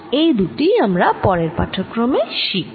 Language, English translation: Bengali, these two things will do in the next lecture